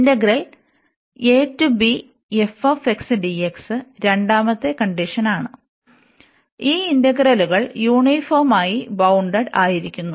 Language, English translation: Malayalam, And this is uniform, these are these integrals are uniformly bounded